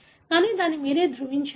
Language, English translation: Telugu, So, but you need to validate